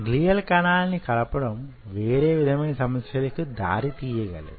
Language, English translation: Telugu, the addition of glial cells brings a different set of problems